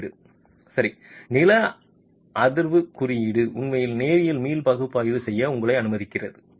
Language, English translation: Tamil, The code will code is okay, a seismic code is actually okay allowing you to do linear elastic analysis